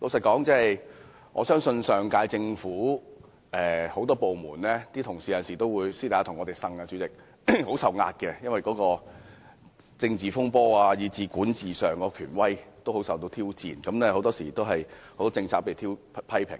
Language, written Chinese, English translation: Cantonese, 坦白說，上屆政府很多部門的職員有時會私下向我們訴苦，說由於發生政治風波和政府管治權威受到挑戰，他們承受很大壓力，多項政策均受到批評。, Honestly staff of many departments of the last - term Government sometimes voiced their grievances to us in private saying that due to political disputes and challenges to governance authority they suffered from tremendous pressure and many policies were severely criticized